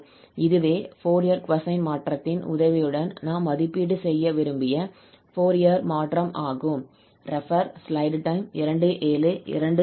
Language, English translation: Tamil, So, this is the desired Fourier transform we have evaluated using or with the help of this Fourier cosine transform